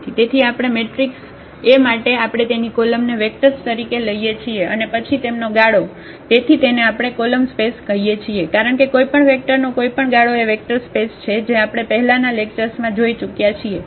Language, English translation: Gujarati, So, for a given matrix A we take its column as vectors and then span them, so that is what we call the column space because any span of any vectors that is a vector space which we have already seen in previous lectures